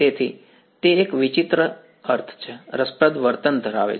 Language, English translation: Gujarati, So, it has a strange I mean interesting behavior